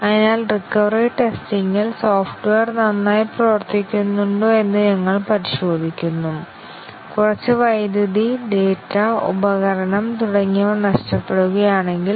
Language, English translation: Malayalam, So, in recovery test we check whether the software works well, if some loss of power, data, device etcetera occur